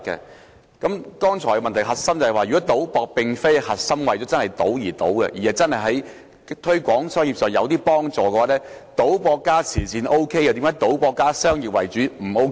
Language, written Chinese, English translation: Cantonese, 我剛才的補充質詢的核心是，如果賭博並非為賭而賭，而是有助推廣生意，為何賭博加慈善 OK， 但賭博加商業為主則不 OK？, The core of my supplementary question is that if gambling is not held for the sake of gambling but for business promotion why is it not permissible while gambling for charity purpose is permissible?